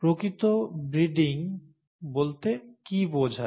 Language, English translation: Bengali, What does true breeding mean